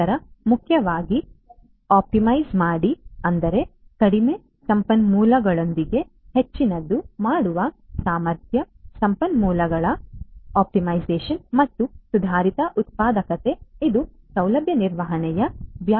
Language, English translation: Kannada, Then most importantly optimize; that means, ability to do more with less resources, optimization of resources and improved productivity this is also within the purview of facility management